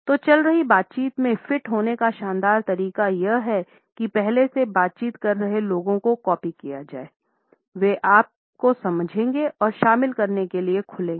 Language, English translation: Hindi, So, a great way to fit into an ongoing conversation is to mirror the people already conversing; there is a good chance they will sense your kinship and open up to include you